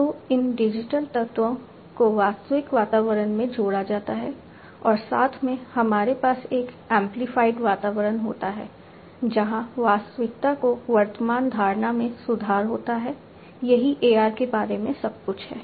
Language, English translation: Hindi, So, these digital elements are added to the actual environment and together we have an amplified environment, where the present perception of reality is improved this is what AR is all about